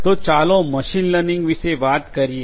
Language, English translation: Gujarati, So, let us talk about machine learning